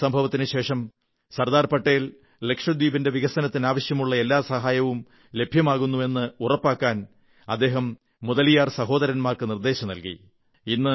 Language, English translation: Malayalam, After this incident, Sardar Patel asked the Mudaliar brothers to personally ensure all assistance for development of Lakshadweep